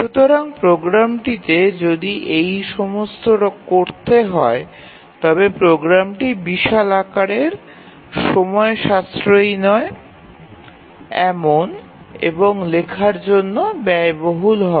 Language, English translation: Bengali, If your program has to do all these then the program will be enormously large and it will be time consuming and costly to write